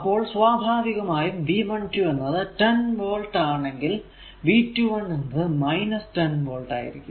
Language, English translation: Malayalam, So, if V 1 2 is equal to say a 10 volt this is plus minus therefore, V 2 1 V 2 1 will be minus 10 volt right